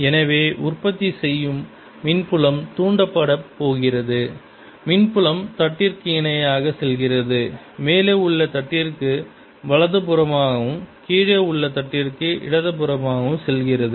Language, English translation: Tamil, electric field is going to be like parallel to the plate, going to the right on the upper plate and going to the left on the lower plate